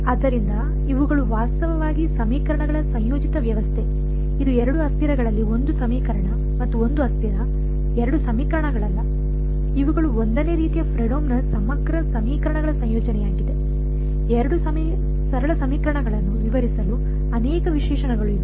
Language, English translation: Kannada, So, these are actually coupled system of equations, it is not 1 equation and 1 variables 2 equations in 2 variables, these are coupled set of Fredholm integral equations of the 1st kind right, many many adjectives to describe two simple equations